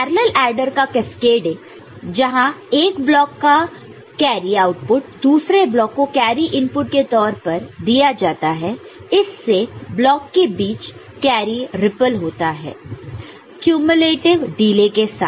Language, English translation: Hindi, Cascading parallel adders where carry output of one block is fed as carry input of the next block makes the carry ripple between blocks with cumulative delay, ok